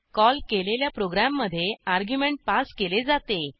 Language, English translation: Marathi, * An argument is passed to a program being called